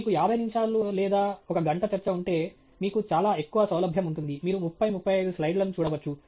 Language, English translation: Telugu, If you have a 50 minute or one hour talk, you can, you have much greater of flexibility, you can look at 30, 35 slides